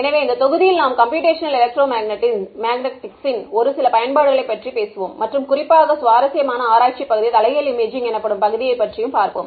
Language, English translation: Tamil, So in this module we will be talking about some of the applications of Computational Electromagnetics and in particular an interesting area of research called inverse imaging ok